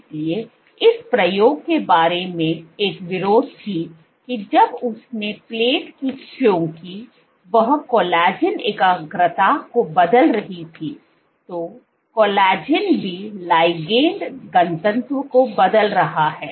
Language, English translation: Hindi, So, there was one caveat about this experiment that when she plated because she was changing the collagen concentration